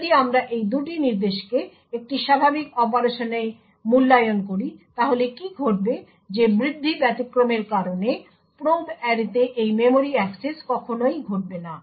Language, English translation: Bengali, If we evaluate these two instructions in a normal operation what would happen is that due to the raise exception this memory access to the probe array would never occur